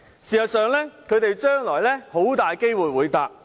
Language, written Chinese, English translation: Cantonese, 事實上，他們將來很大機會會乘搭高鐵。, Actually it is very possible that they will take XRL in the future